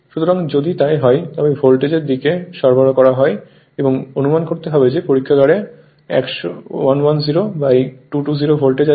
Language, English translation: Bengali, So, if you so supply is given to l voltage side and you have to suppose in the laboratory you have 110 by 220 volt